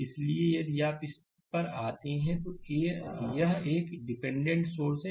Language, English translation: Hindi, So, if you come to this, it is a dependent source right